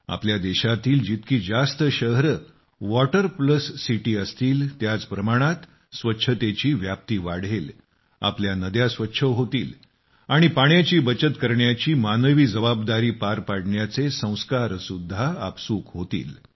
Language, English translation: Marathi, The greater the number of cities which are 'Water Plus City' in our country, cleanliness will increase further, our rivers will also become clean and we will be fulfilling values associated with humane responsibility of conserving water